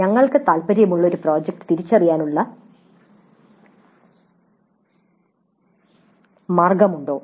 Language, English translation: Malayalam, You had the option of identifying a project of interest to you